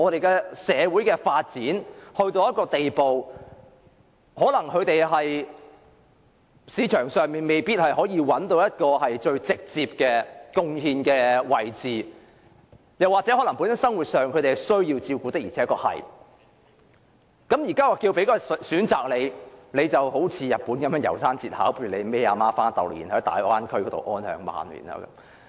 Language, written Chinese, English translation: Cantonese, 當社會發展到一個地步，有一些人在市場上未必找到直接作出貢獻的位置，又或他們生活上需要照顧，於是政府便給他們一個選擇，好像日本的《楢山節考》般，帶母親到大灣區安享晚年。, In the development of a community there comes a stage when some people may not be able to find a role to directly contribute to the economy or they may need other people to take care of their living . And at this juncture the Government gives them a choice like in The Ballad of Narayama of Japan the old mother is taken to the Bay Area to spend her remaining years